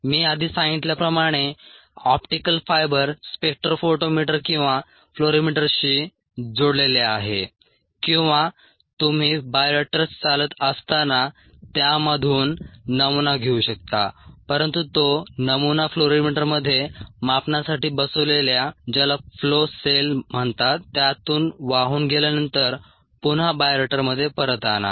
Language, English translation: Marathi, as i mentioned earlier, the optical fibre is integrated ah with a spectro photometer or a fluorimeter, or you could take a sample from the bioreactor as it is operating but bring the sample back in to the bioreactor after it flows through what is called a flow cell, which is placed in the fluorimeter for measurement